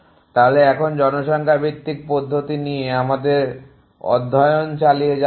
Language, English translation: Bengali, So continue in our study of population based methods